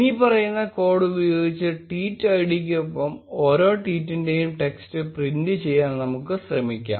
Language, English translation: Malayalam, And let us try to print the text of each tweet along with the tweet id by using the following code